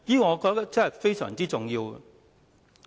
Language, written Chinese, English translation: Cantonese, 我覺得這方面非常重要。, I think this is very important